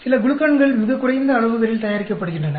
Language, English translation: Tamil, Some glucans are produced with very low quantities